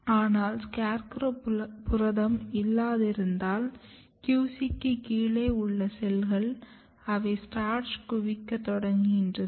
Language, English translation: Tamil, But in absence of SCARECROW protein, the cells just below the QC they start accumulating starch